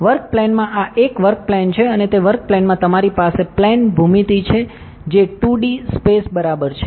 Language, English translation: Gujarati, In the work plane, this is a work plane and in that work plane you have a plane geometry which is a 2D space ok